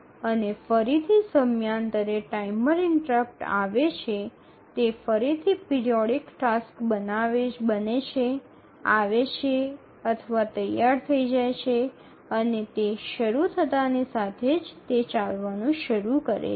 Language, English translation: Gujarati, And again, as the periodic timer interrupt comes, the periodic task again becomes it arrives or becomes ready